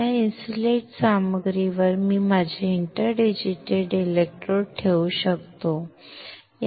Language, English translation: Marathi, On this insulating material I can have my interdigitated electrodes